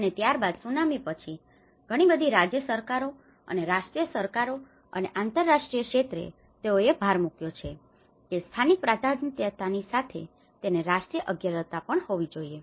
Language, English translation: Gujarati, And later on after the Tsunami, the many of the state governments and the national governments and the international sectors, they have emphasized that it has to be a national priority also with the local priority